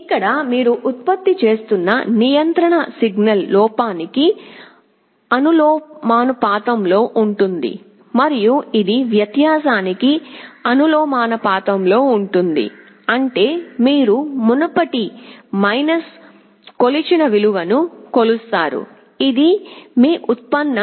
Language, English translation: Telugu, Here the control signal that you are generating will be proportional to the error plus it will also be the proportional to the difference; that means, you are measured value previous minus measured value present, this is your derivative